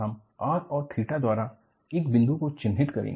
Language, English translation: Hindi, And, we would identify a point by r and theta